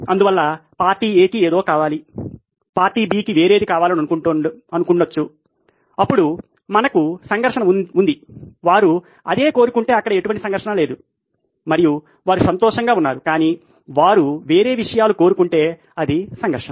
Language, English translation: Telugu, So that’s why party A wants something party B want something else, then we have a conflict, if they want the same thing there is no conflict there and they are happy okay but if they want different things then it’s a conflict